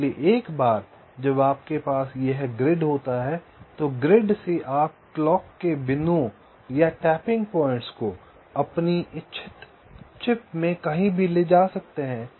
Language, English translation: Hindi, so once you have this grid, from the grid you can take the clock points or tapping points to anywhere in the chip you want